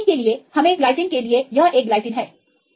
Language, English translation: Hindi, So, for the alanine we get this one right for the glycine this is a glycine